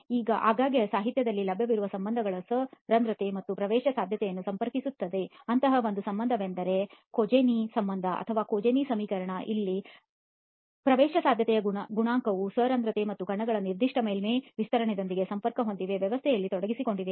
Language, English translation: Kannada, Now very often there are relationships which are available in literature which link the porosity and the permeability, one such relationship is the Kozeny relationship or Kozeny equation, here the coefficient of permeability is linked to the porosity and the specific surface area of the particles which are involved in the system